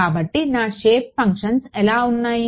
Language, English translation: Telugu, So, what are my shape functions like